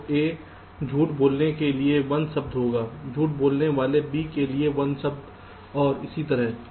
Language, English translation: Hindi, so there will be one word for lying a, one word for lying b, and so on